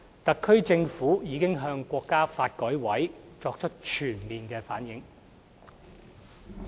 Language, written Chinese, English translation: Cantonese, 特區政府已向國家發改委作出全面反映。, The HKSAR Government has already reflected such proposals to NDRC in full